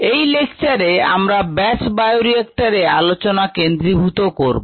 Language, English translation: Bengali, in this lecture let us focus on the batch bioreactor